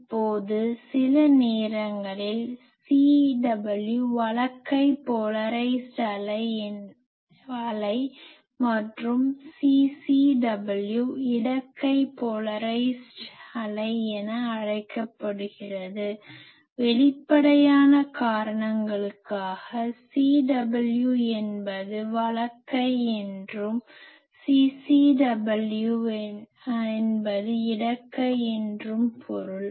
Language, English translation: Tamil, Now sometimes the CW is called right hand polarisation, right hand polarized wave and CCW is left hand polarized wave; for obvious reasons you see that CW means right hand and this CW is left hand